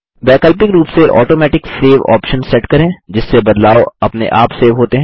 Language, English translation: Hindi, Alternately, set the Automatic Save option so that the changes are saved automatically